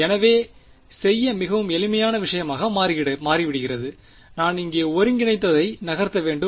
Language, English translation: Tamil, So, turns out to be a very simple thing to do I just have to move the integral over here right